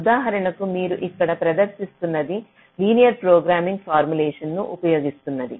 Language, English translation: Telugu, for example, the one that we, that you present here, uses a linear programming formulation